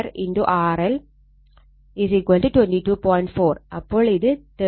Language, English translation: Malayalam, 4, so it is 38